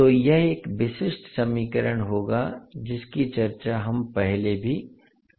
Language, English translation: Hindi, So this would be the characteristic equation which we have already discussed in the past